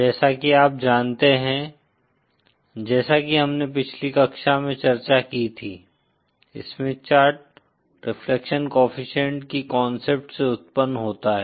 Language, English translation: Hindi, So as you know, as we discussed in the previous class, the Smith Chart originates from the concept of the reflection coefficient